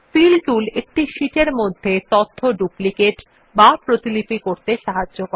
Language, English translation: Bengali, The Fill tool is a useful method for duplicating the contents in the sheet